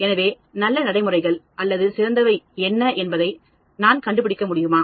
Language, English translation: Tamil, So, can I find out what are the good practices or best practices they follow